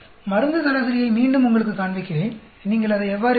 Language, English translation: Tamil, Let me again show it to you drug average, how do you get it